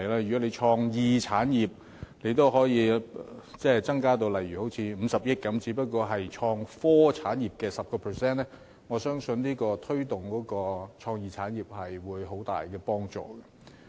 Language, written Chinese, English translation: Cantonese, 如果對創意產業的撥款可以增至如50億元，也不過是創科產業撥款額的 10%， 但我相信對推動創意產業有很大幫助。, Even if the funding for creative industries is increased to for example 5 billion it will just amount to 10 % of the funding for innovation and technology industries . But I believe it will mean much to the promotion of creative industries